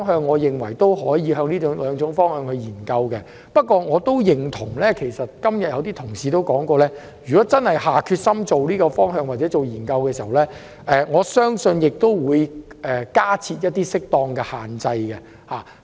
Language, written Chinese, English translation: Cantonese, 我認為可就這兩個方向進行研究，但正如有些同事所說，如果真的下決心朝這個方向進行研究，我相信有需要加設適當的限制。, I hold that studies can be conducted on these two options . However just as some Honourable colleagues have mentioned it is necessary to impose appropriate restrictions if we decide to conduct studies in this direction